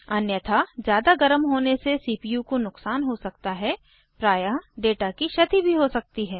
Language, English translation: Hindi, Otherwise, overheating can cause damage to the CPU, often leading to data loss